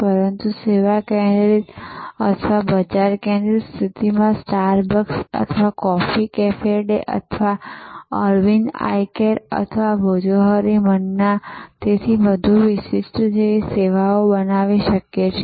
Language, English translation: Gujarati, But, in a service focused or market focused positioning, it is possible to create great service like Starbucks or coffee cafe day or Arvind Eye Care or Bhojohori Manna and so on